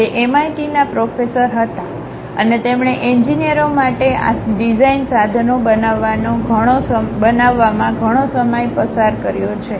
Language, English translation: Gujarati, He was a professor at MIT, and he has spent lot of time in terms of constructing these design tools for engineers